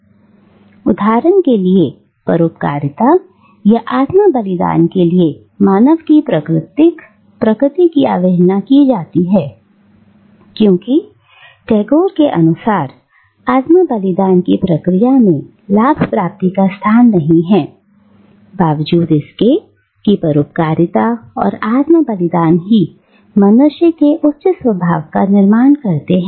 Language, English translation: Hindi, So, for instance, the natural human tendency for altruism or self sacrifice is disregarded, according to Tagore, by the machinery of the nation state because self sacrifice is not plugged into the process of profit making in spite of the fact that altruism and self sacrifice forms the higher nature of a human being